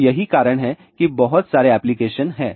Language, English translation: Hindi, So, that is why there are lots of applications are there